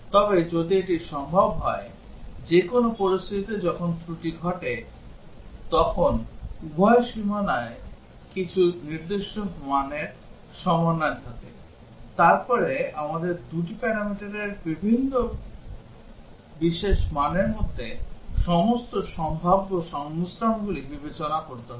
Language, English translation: Bengali, But if it is possible that there is a situation where the error occurs when both boundaries have some value some specific combination of values, then we would have to consider all possible combinations between the different special values of the 2 parameters